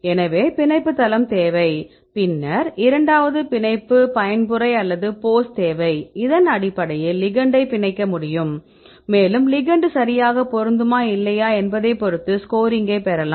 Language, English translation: Tamil, So, we need the binding site then the second one we need the binding mode or the pose and based on this the ligand can bind and we can score whether the ligand can properly fit or not